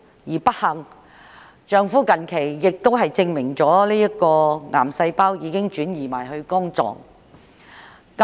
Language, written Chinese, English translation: Cantonese, 更不幸的是，近期亦證實其丈夫體內的癌細胞已擴散至肝臟。, More unfortunately it has recently been confirmed that the cancer cells in her husbands body have already spread to his liver